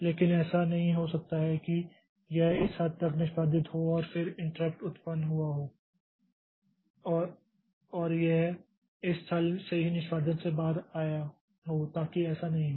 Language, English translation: Hindi, But it cannot be that it has executed up to this much and then the interrupt has occurred and it came out of execution from this point itself